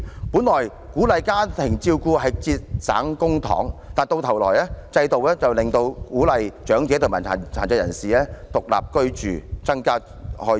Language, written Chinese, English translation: Cantonese, 本來鼓勵家庭照顧可節省公帑，但制度卻反而鼓勵長者和殘疾人士獨立居住，增加公共開支。, In fact it will save public coffers to encourage family members to take care of elderly persons and persons with disabilities . Yet the system encourages the opposite urging them to live on their own which will increase public expenditure